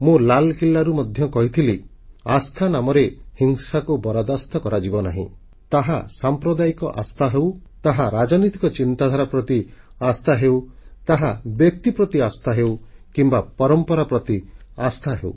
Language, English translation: Odia, In my address from the ramparts of the Red Fort, I had said that violence in the name of faith will not be tolerated, whether it is communal belief systems, whether it is subscribing to political ideologies, whether it is allegiance to a person or customs and traditions